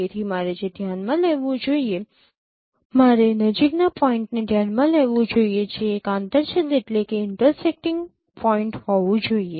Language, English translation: Gujarati, So what I should consider, I should consider the closest point which should have been an intersecting point